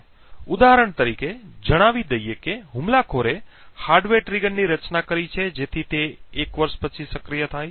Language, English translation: Gujarati, For example, let us say that the attacker has designed the hardware trigger so that it gets activated after a year